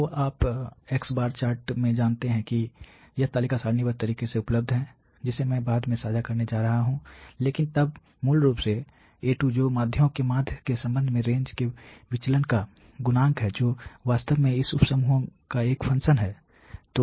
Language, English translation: Hindi, So, you know in the chart this table this data is available in the tabular manner which I am going to share later, but then you know A2 basically which is the coefficient of the deviation of the range with respect to the mean of means is actually a function of this sub groups